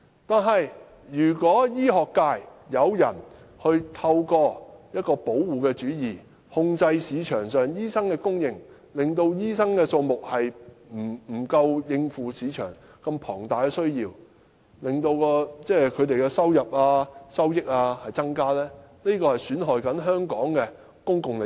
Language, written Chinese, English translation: Cantonese, 可是，如果醫學界有人透過保護主意，控制市場上醫生的供應，令醫生數目不足以應付市場龐大的需要，致令他們的收入增加，這便是損害香港的公共利益。, However if certain members of the medical sector are practising protectionism to try to control the supply of doctors in the market and create a shortage of doctors against the tremendous demand in the market such that the income of doctors may increase this will jeopardize public interest in Hong Kong